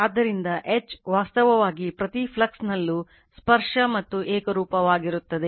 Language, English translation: Kannada, So, H actually at every flux is tangential and uniform right